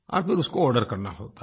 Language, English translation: Hindi, And then the orders can be placed